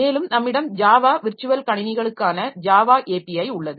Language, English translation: Tamil, And we have got Java API for Java Virtual Machines